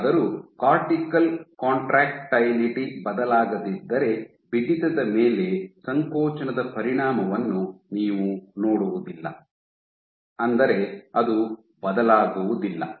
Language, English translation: Kannada, However, you will not see the effect of contractility on stiffness if your cortical contractility does not change, is unchanged